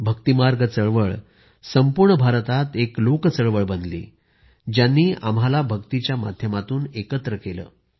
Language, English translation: Marathi, The Bhakti movement became a mass movement throughout India, uniting us through Bhakti, devotion